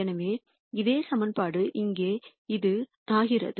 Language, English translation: Tamil, So, the same equation becomes this here